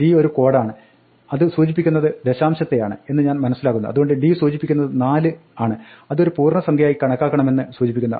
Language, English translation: Malayalam, D is a code that specifies, I think it stands for decimal, so d specifies that 4 should be treated as an integer value